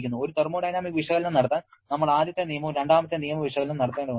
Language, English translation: Malayalam, To perform a thermodynamic analysis, we have to perform both first law and second law analysis